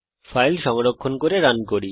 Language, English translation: Bengali, Save and run the file